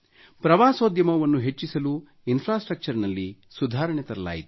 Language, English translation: Kannada, There were improvements in the infrastructure to increase tourism